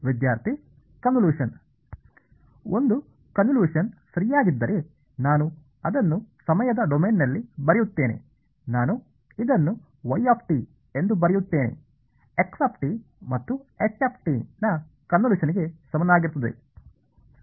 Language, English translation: Kannada, If a convolution right so I just write it in time domain I write this as y is equal to the convolution of x and h alright pretty straight forward